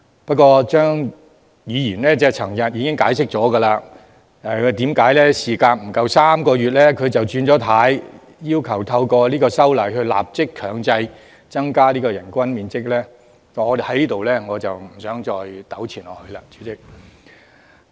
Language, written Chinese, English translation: Cantonese, 不過，張議員昨天已經解釋為何事隔不足3個月便"轉軚"，要求透過修正案立即強制提高最低人均樓面面積，在此我不想再糾纏下去。, Nevertheless Dr CHEUNG explained yesterday the volte face in less than three months in requesting a compulsory and immediate increase of the minimum area of floor space per resident by means of an amendment . Yet I do not wish to argue this point here anymore